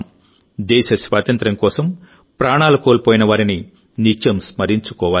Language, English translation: Telugu, We should always remember those who laid down their lives for the freedom of the country